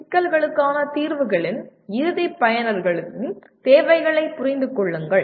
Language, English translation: Tamil, Understand the requirements of end users of solutions to the problems